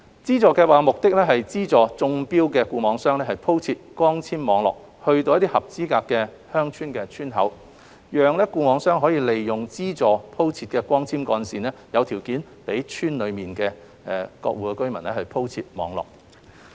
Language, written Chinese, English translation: Cantonese, 資助計劃目的是資助中標的固網商鋪設光纖網絡至合資格的鄉村的村口，讓固網商利用資助鋪設的光纖幹線，有條件再在村內鋪設網絡。, The Subsidy Scheme aims to subsidize selected FNOs to extend their fibre - based networks to the entrances of eligible villages so that the FNOs are in a position to make use of the subsidized fibre - based cables to lay their networks within the villages